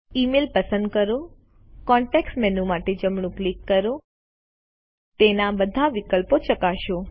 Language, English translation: Gujarati, Select an email, right click for the context menu Check all the options in it